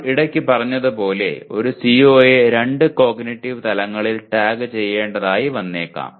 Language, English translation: Malayalam, As we said occasionally a CO may have to be tagged by two cognitive levels